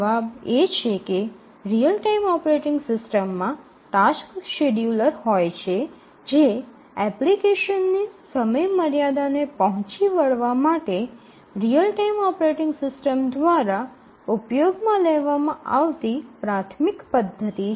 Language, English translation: Gujarati, The answer is that the real time operating systems have a tasks scheduler and it is the tasks scheduler which is the primary mechanism used by the real time operating systems to meet the application deadlines